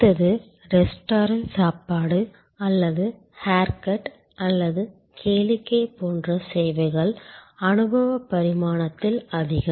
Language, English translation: Tamil, The next one which is kind of services like restaurant meals or haircut or entertainment a movie, heavy on the experiential dimension